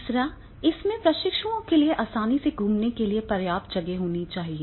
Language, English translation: Hindi, Third is, it has sufficient space for the trainees to move easily around in of around in